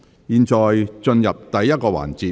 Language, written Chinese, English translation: Cantonese, 現在進入第1個環節。, We now proceed to the first session